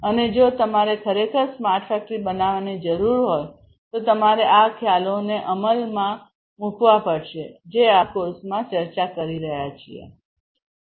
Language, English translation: Gujarati, And if you really need to build a smart factory basically you have to start implementing these concepts that we are going through in this course